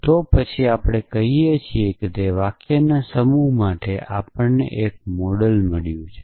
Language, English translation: Gujarati, Then we say that we have found a model for those set of sentences